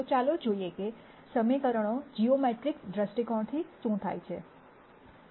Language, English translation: Gujarati, So, let us look at what equations mean from a geometric viewpoint